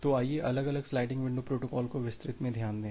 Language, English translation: Hindi, So, let us look into different sliding window protocols in details